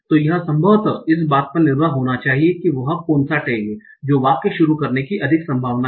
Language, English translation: Hindi, So this probably should depend on what is the tag that is more likely to start the sentence